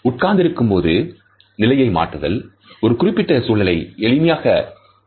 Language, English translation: Tamil, Movement such as shifting position when seated, may be simply way of resolving a specific physical situation